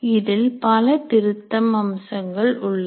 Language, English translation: Tamil, There are lots of features